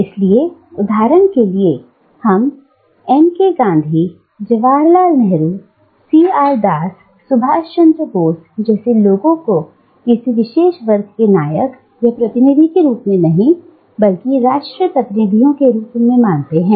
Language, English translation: Hindi, Which is why, for instance, we do not regard people like M K Gandhi, Jawaharlal Nehru, C R Das, Subhash Chandra Bose as heroes or representatives of a particular class, but rather as national representatives